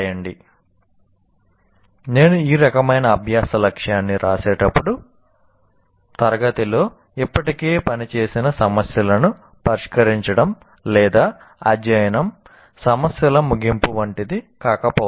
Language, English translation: Telugu, When I write this kind of thing, learning goal, it may not be like solving the problems that are already worked out in the class or at the end of the chapter of problems, it may not be that